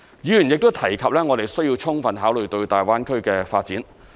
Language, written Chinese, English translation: Cantonese, 議員亦提及我們要充分考慮大灣區的發展。, Members have also mentioned that we should give full consideration to the development of the Greater Bay Area